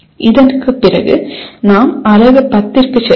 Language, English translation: Tamil, And after this we go into the Unit 10